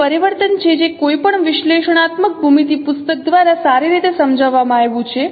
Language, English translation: Gujarati, So, so, so this is the transformation which is well explained by any, any analytical geometry book you should can refer it referred to it